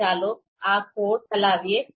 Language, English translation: Gujarati, So let’s run this code